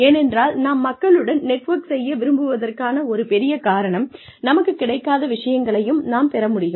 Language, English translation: Tamil, Because, one big reason, why we want to network with people is, so that, we can get, what we would not have, otherwise got